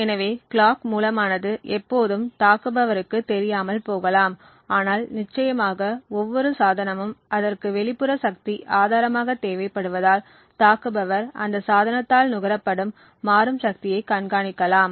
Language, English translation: Tamil, So, thus the clock source may not always be visible to an attacker, but definitely every device since it would require an external power source therefore an attacker would be able to monitor dynamically the power consumed by that device